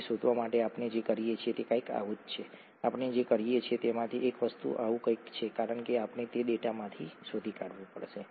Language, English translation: Gujarati, To find that out, what we do is something like this, one of the things that we can do is something like this because we’ll have to find that out from data